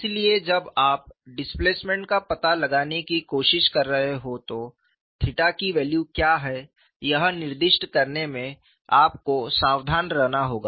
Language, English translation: Hindi, So, you have to be careful in specifying, what is the value of theta when you are trying to find out the displacement